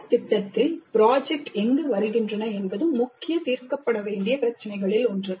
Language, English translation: Tamil, And the key issue of where do the projects come in the program curriculum is something which needs to be resolved